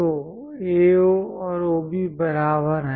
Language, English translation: Hindi, So, AO and OB are equal